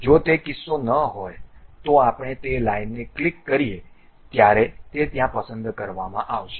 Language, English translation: Gujarati, If that is not the case we go click that line then it will be selected there